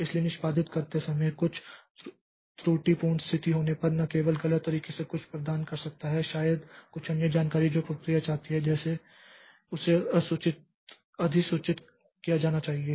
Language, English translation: Hindi, So, while executing some erroneous condition has occurred, so how the not only erroneous, some imports may be some other information which the process wanted to be notified